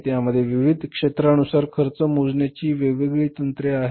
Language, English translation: Marathi, It has different techniques for costing the products in the different sectors